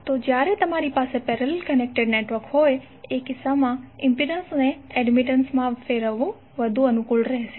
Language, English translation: Gujarati, So in this case when you have parallel connected networks, it is better to convert impedance into admittance